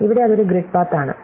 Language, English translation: Malayalam, Well, here for instance is one grid path